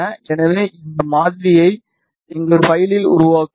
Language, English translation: Tamil, So, we will build this model in our file